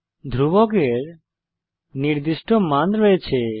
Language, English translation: Bengali, Constants are fixed values